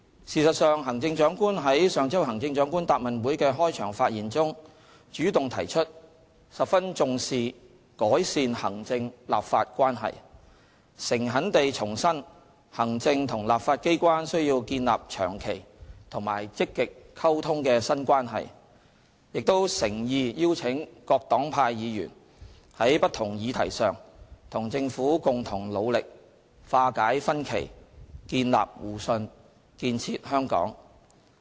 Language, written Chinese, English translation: Cantonese, 事實上，行政長官於上周行政長官答問會的開場發言中，主動提出十分重視改善行政立法關係；誠懇地重申行政和立法機關需要建立長期和積極溝通的新關係；亦誠意邀請各黨派議員，在不同議題上與政府共同努力化解分歧，建立互信，建設香港。, The Chief Executive has in her opening remarks at the above Question and Answer Session last week indeed taken the initiative to make the point that she attached great importance to improving the relationship between the executive and the legislature . She reiterated sincerely the need for the executive and the legislature to develop a new relationship based on long - term and proactive communication . She also wholeheartedly called upon Members of different political parties to work together with the Government and strive to resolve differences foster mutual trust and build a better Hong Kong